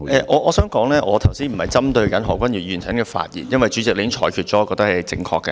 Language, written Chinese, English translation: Cantonese, 我想指出，我不是針對何君堯議員剛才的發言，因為主席已經作出裁決，我認為是正確的。, I wish to point out that I am not targeting Dr Junius HOs earlier speech because President has already made a ruling which is correct in my view . What I target is the Appendix to the Schedule